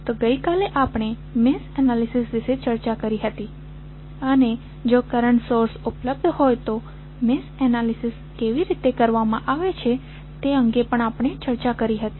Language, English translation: Gujarati, So, yesterday we discussed about mesh analysis and we also discussed that how the mesh analysis would be done if current sources available